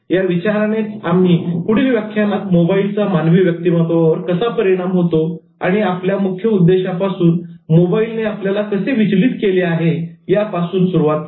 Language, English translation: Marathi, With this thought, we started with the next lecture on mobile personality and how the influence of mobile is on human personality and how mobile has deviated from its main intention